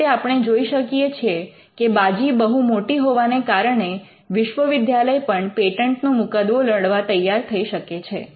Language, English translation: Gujarati, Now, we can see that because of the stakes involved universities are also likely to fight patent litigation